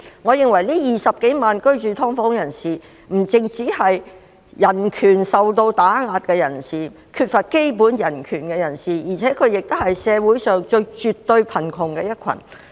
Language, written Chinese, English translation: Cantonese, 我認為這20多萬名居住"劏房"的人士，不只是人權受到打壓、缺乏基本人權，而且也絕對是社會上最貧窮的一群。, I think these 200 000 - odd people living in SDUs are suffering from suppression of human rights or deprivation of basic human rights and they are definitely the poorest group in society